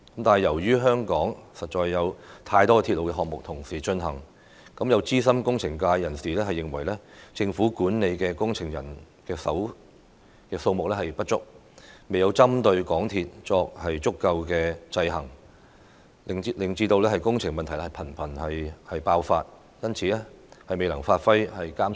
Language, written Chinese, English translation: Cantonese, 礙於香港同時間進行的鐵路項目實在太多，有資深工程界人士認為，政府管理工程的人手不足，未能針對港鐵公司作足夠制衡，未能發揮監察者的角色，導致工程問題頻頻爆發。, As too many railway projects are underway at the same time in Hong Kong some seasoned engineering veterans believe that the Governments manpower for project management is insufficient to enable adequate checks and balances on MTRCL and play the role of a monitor thus culminating in the frequent emergence of engineering problems